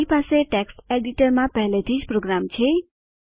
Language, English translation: Gujarati, I already have program in a text editor